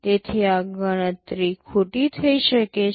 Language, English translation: Gujarati, So, this calculation can become wrong